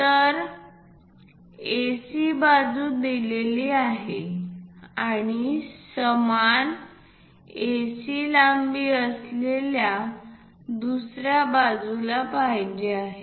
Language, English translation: Marathi, So, AC side is given for us and the same AC length we would like to have it on other sides